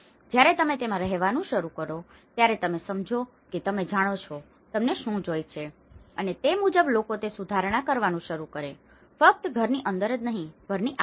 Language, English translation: Gujarati, When you start living in it, you realize that you know, what you need and accordingly people start amending that, not only within the house, around the house